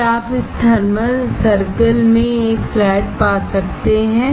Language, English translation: Hindi, Can you find a flat in this circle